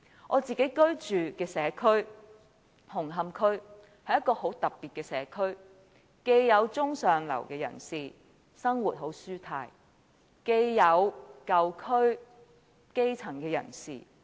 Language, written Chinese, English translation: Cantonese, 我自己居住的社區紅磡區，是一個很特別的社區，區內既有中上流人士，生活舒泰，又有舊區的基層人士。, The community in which I am living Hung Hom is a very special district . We can find not only upper - and middle - class people who lead a comfortable life there but also grass roots from the old districts